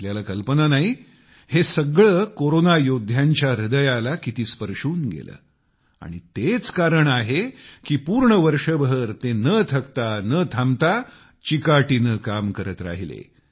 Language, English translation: Marathi, You cannot imagine how much it had touched the hearts of Corona Warriors…and that is the very reason they resolutely held on the whole year, without tiring, without halting